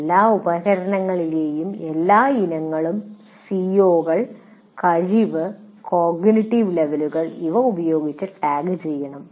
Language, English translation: Malayalam, The all items in all instruments should be tagged with COs, competency and cognitive levels